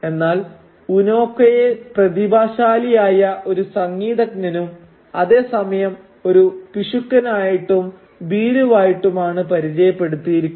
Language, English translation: Malayalam, Unoka in turn is introduced as a talented musician but as a person who is a coward, who is regarded as a coward and who is also a spendthrift